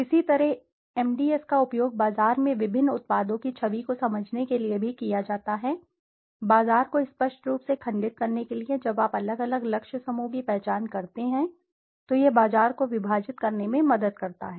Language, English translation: Hindi, Similarly MDS is also used to understand the image of various products in the market, to segment the market obviously when you identify the different target group it helps to segment the market